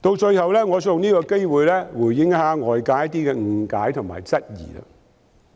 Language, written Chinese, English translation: Cantonese, 最後，我想藉此機會回應外界的一些誤解及質疑。, Lastly I would like to take this opportunity to respond to certain misunderstandings and queries of outsiders